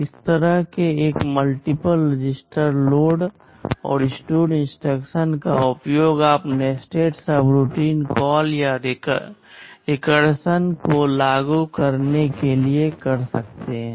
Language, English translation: Hindi, This kind of a multiple register load and store instruction you can use to implement nested subroutine call or even recursion